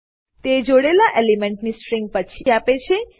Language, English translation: Gujarati, It returns a string of joined elements